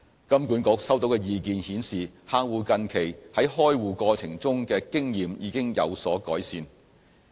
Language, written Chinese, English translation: Cantonese, 金管局收到的意見顯示客戶近期在開戶過程中的經驗已經有所改善。, Based on the feedback HKMA received recently customer experience in the account opening process has improved